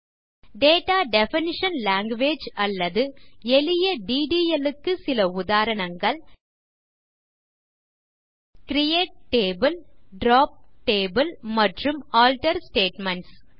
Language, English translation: Tamil, And some examples of Data Definition Language, or simply DDL, are: CREATE TABLE, DROP TABLE and ALTER statements